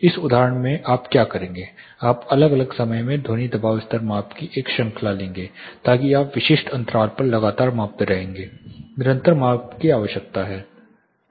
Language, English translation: Hindi, In that instance what you will do, you will take a series of sound pressure level measurements across different times so you will be measuring at continuously at specific intervals; continuous measurements are needed